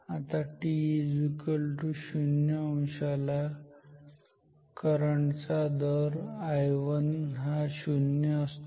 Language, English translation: Marathi, So, this is 0 degree then the current rate current or I 1 is 0